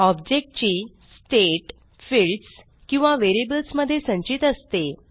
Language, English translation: Marathi, Object stores its state in fields or variables